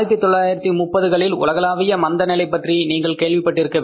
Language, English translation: Tamil, You must have heard about the global recession of 1930s